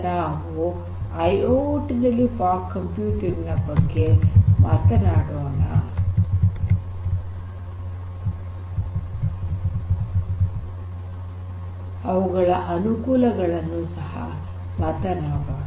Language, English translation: Kannada, So, now, let us look further at these different advantages of fog computing for IIoT